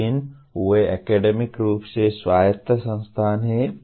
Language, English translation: Hindi, But they are academically autonomous institutions